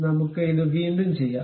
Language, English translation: Malayalam, Let us do it once again